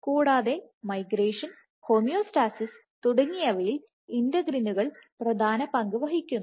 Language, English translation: Malayalam, And these integrins play important roles in migration, homeostasis so on and so forth